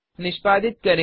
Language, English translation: Hindi, Execute as before